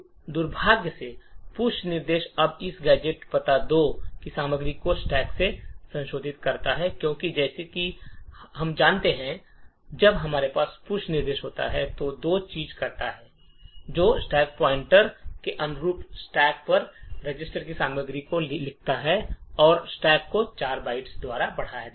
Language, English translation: Hindi, Unfortunately the push instruction now modifies the contents of this gadget address 2 in the stack because as we know when we have a push instruction it does two things it writes the contents of the register on the stack corresponding to the stack pointer and also increments the stack pointer by 4 bytes